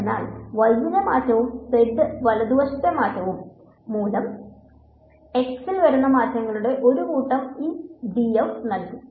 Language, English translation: Malayalam, So, this df will be given by a set a summation of the changes due to a change in x due to change in y and a change in z right